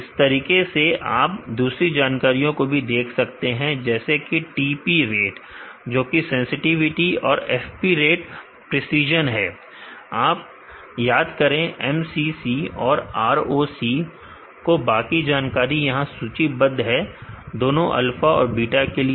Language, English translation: Hindi, Similarly you can see the other details such as the TP rate, which is sensitivity and FP rate precision recall MCC ROC other details are listed here, for both alpha and beta